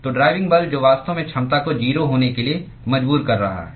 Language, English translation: Hindi, So, the driving force which is actually forcing the efficiency to be 0